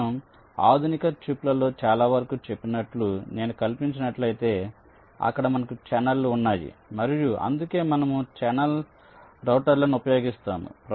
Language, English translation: Telugu, so this, as i said, most of the modern chips that if i fabricate, there we have channels and thats why we use channel routers